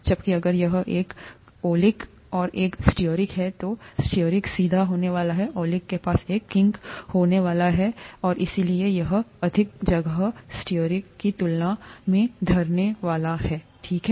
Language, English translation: Hindi, Whereas, if it is one oleic and one stearic, the stearic is going to be straight, the oleic is going to have a kink, and therefore it is going to occupy more space compared to stearic here, okay